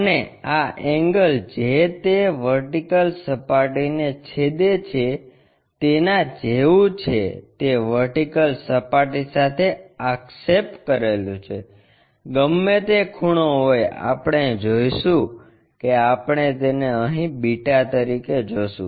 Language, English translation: Gujarati, And, this angle the projected one with respect to vertical whatever the angle is going to intersect this vertical plane, whatever that angle we are going to see that we will see it here as beta